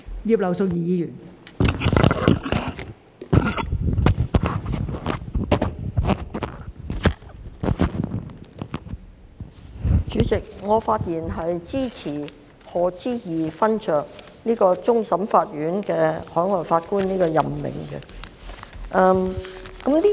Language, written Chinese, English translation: Cantonese, 代理主席，我發言支持任命賀知義勳爵為終審法院其他普通法適用地區非常任法官。, Deputy President I speak in support of the appointment of Lord HODGE as a non - permanent judge of the Hong Kong Court of Final Appeal from another common law jurisdiction CLNPJ